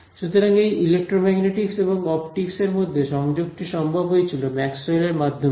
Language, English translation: Bengali, So, this connection between the electromagnetics and optics really was made possible by Maxwell